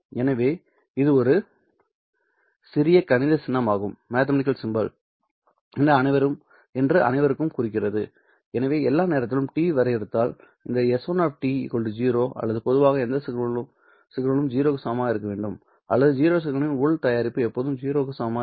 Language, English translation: Tamil, So for all time t, if I define this s 1 of t is equal to 0 or in general any signal to be equal to 0, then the inner product of that zero signal will always be equal to 0